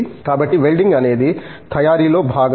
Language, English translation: Telugu, So, welding which is a part of the manufacturing